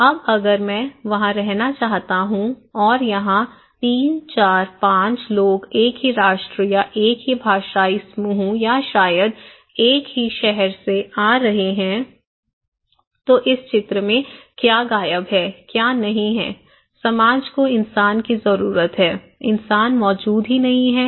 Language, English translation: Hindi, Now, if I want to live there, okay and what is missing here like 3, 4, 5 people coming from same nations or same linguistic group or maybe same hometown, they are living together, what is missing there in this diagram, what is not there; that a society needs a human being are missing, human beings are missing